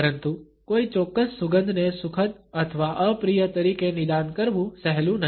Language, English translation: Gujarati, But it is not easy to diagnose a particular scent as being pleasant or unpleasant one